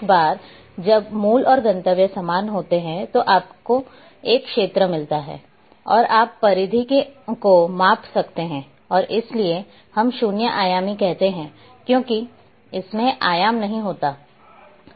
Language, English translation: Hindi, Once the origin and destinations are same then you get an area and you can also measure the perimeter and that is why we say zero dimensional because it does’nt have the dimensions